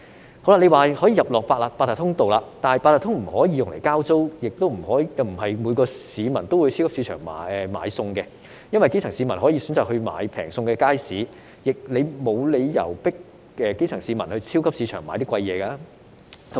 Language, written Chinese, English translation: Cantonese, 政府說可以選擇透過八達通領取，但八達通不可以用來交租，亦不是每個市民都會到超級市場買菜，原因是基層市民會選擇到街市買較便宜的食物，所以沒有理由迫基層市民到超級市場買較貴的東西。, The Government says that the people can choose to collect the payment with their Octopus cards . Yet people cannot pay rent by Octopus and not everyone will buy food in supermarkets . The grass roots may choose to buy cheaper food in the markets and there is no reason to force them to buy more expensive things in supermarkets